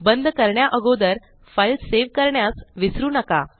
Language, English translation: Marathi, Remember to save the file before you close it